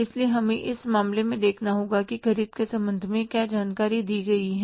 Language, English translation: Hindi, So, we have to look at the case that what is the information given with regard to the purchases